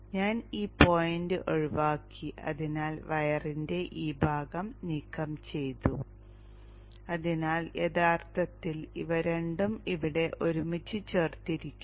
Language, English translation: Malayalam, I have broken open this point so this portion of the wire has been removed so actually these two were joined together here